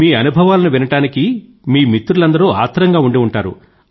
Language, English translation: Telugu, Your friends must be eager to listen to your experiences